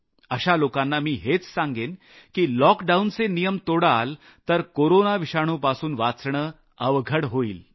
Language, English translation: Marathi, To them I will say that if they don't comply with the lockdown rule, it will be difficult to save ourselves from the scourge of the Corona virus